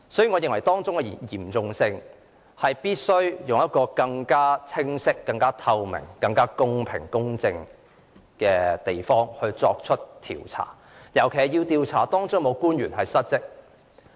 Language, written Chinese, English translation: Cantonese, 我認為事態嚴重，必須以更清晰、透明、公平、公正的方式作出調查，尤其要調查當中是否有官員失職。, Given the seriousness of this matter I think it is necessary to inquire into the matter with a higher degree of clarity transparency fairness and impartiality particularly with focus on whether there is any misconduct on the part of government officials